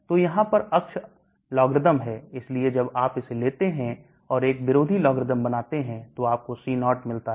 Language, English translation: Hindi, So here the axis is logarithm so when you take this and take an anti logarithm you get C0